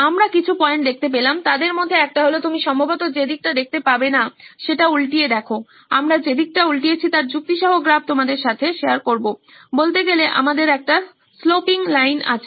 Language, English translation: Bengali, We saw a few points one of them was that we flipped the side in which you can probably cannot see this, we will share of graph of this is we flipped the sides of logic, so to speak, so that we have a sloping line